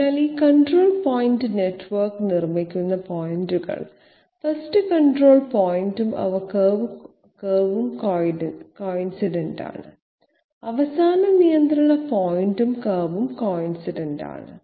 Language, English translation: Malayalam, So the points which are making up this controlled point network, the 1st control point and the curve they are coincident, the last control point and curve they are also coincident